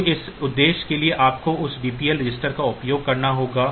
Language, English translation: Hindi, So, for that purpose you have to use that DPL register